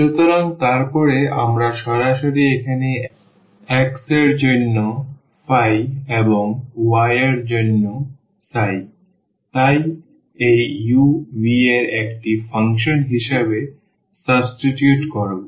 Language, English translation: Bengali, And then we straightaway substitute here for x this phi and for y, we will substitute the psi as a function of this u v